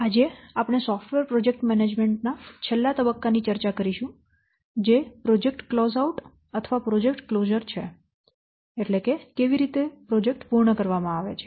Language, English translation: Gujarati, Today we will discuss the last phase of software project management cycle that is project close out or project closure how to close the project